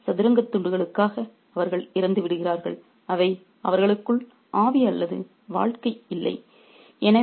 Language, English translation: Tamil, In fact, they die for these chess pieces which have no spirit or life within them